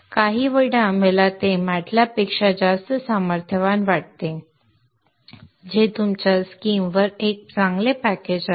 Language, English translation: Marathi, Sometimes I find it much more powerful than MATLAB but anyway that is a good package to have on your system